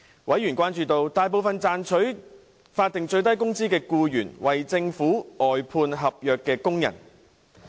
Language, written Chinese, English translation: Cantonese, 委員關注到，大部分賺取法定最低工資的僱員為政府外判合約工人。, Members were concerned that most employees earning the statutory minimum wage were outsourced contract workers of the Government